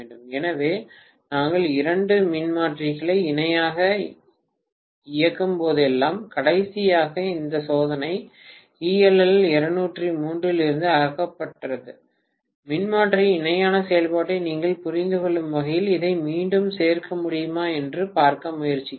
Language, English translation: Tamil, So, whenever we operate two transformers in parallel, last time this experiment was removed from ELL203 I am trying to see whether it can be included again so that you understand the parallel operation of transformer